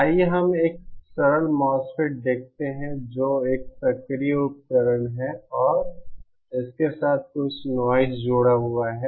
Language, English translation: Hindi, Let us see a simple MOSFET which is an active device and has some noise associated with it